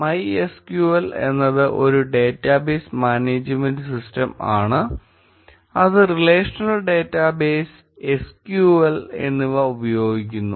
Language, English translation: Malayalam, MySQL is a database management system which uses a relational data base and SQL